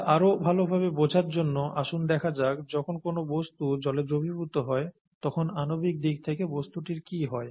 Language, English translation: Bengali, To understand that a little better let us, let us look at what happens at the molecular level when a substance dissolves in water